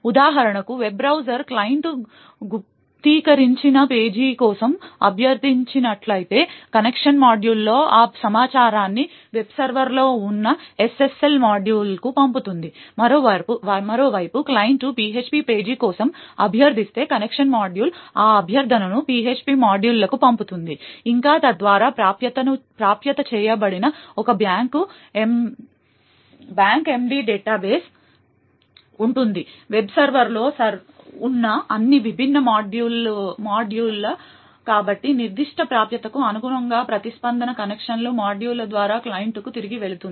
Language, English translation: Telugu, So for example if the web browser client has requested for a encrypted page then the connection module would pass that information to the SSL module which is present in the web server, on the other hand if the client requested for a PHP page then the connection module would send that request to the PHP module, further there would be one back end database which is accessed by all the different modules present in the web server, so corresponding to that particular access, the response goes back to the client through the connection module